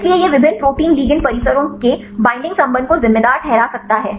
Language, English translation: Hindi, So, that it can account the binding affinity of various protein ligand complexes